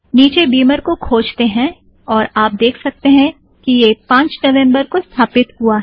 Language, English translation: Hindi, Scroll down to Beamer and you can see that it got installed on 5th of November